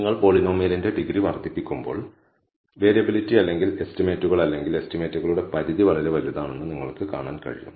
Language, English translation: Malayalam, You can see that as you increase the degree of the polynomial, the variability or the estimates or the range of the estimates is very very large